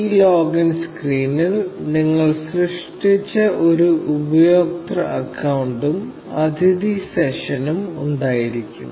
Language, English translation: Malayalam, This login screen will have a user account that you created, and a guest session